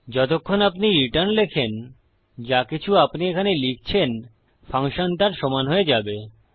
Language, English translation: Bengali, As long as you say return whatever you say here the function will equal that